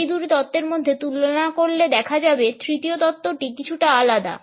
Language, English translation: Bengali, In comparison to these two theories, we find that the third theoretical approach is slightly different